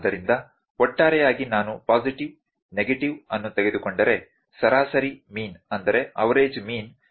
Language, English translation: Kannada, So, overall that average would be if I take positive negative the average mean would be 0